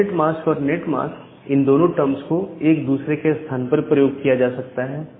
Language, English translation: Hindi, So, this word subnet mask and netmask are used interchangeably